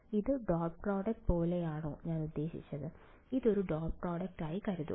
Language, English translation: Malayalam, Does this look like the dot product between I mean, think of this as a not a dot product